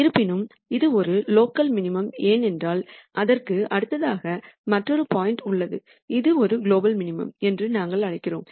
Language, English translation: Tamil, However, this is a local minimum because right next to it there is another point which is even lower which we call as the global minimum